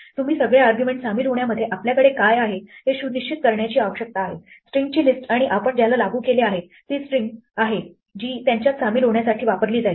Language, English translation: Marathi, All you need to make sure is what you have inside the join in the argument is a list of strings and what you applied to is the string which will be used to join them